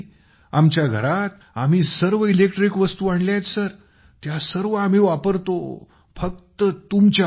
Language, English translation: Marathi, In our house we have brought all electric appliances in the house sir, we are using everything because of you sir